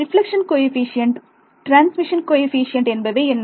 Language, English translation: Tamil, What is the reflection coefficient what is the transmission coefficient